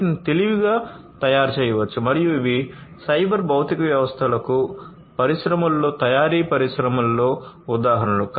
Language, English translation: Telugu, These could be made smarter and these would be also examples of cyber physical systems, in the industry, in the manufacturing industry